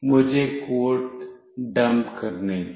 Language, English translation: Hindi, Let me dump the code